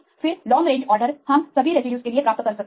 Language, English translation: Hindi, Then long range order we can get for all the residues